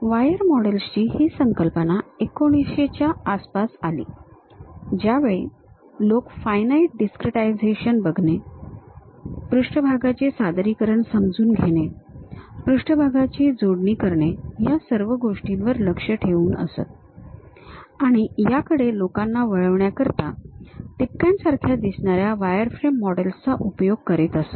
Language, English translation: Marathi, This concept of wire models came around 1900, when people try to look at finite discretization and try to understand that represent the surfaces, connect the surfaces; to recapture people used to go with these dots like wireframes